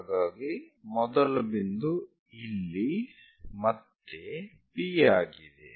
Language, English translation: Kannada, So, the first point is here P again